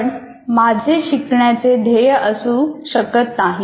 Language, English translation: Marathi, But I may not put such a learning goal